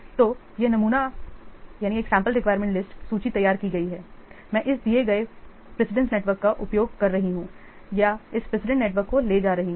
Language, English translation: Hindi, So, this sample requirement list has been prepared using this given precedence network or by taking this precedence network